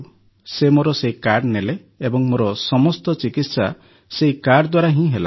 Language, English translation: Odia, Then he took that card of mine and all my treatment has been done with that card